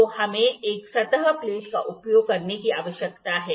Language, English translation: Hindi, So, we need to use a surface plate